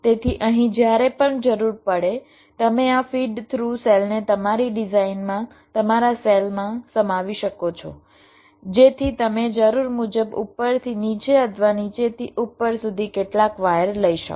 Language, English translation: Gujarati, so, ah, so here, whenever required, you can include this feed through cells in your design, in your cells, so that you can take some words from the top to bottom or bottom to top, as required